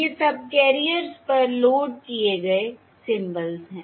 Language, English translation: Hindi, These are the symbols loaded onto the subcarriers